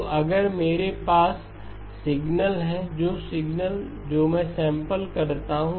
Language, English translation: Hindi, So if I have a signal, some signal, which I sample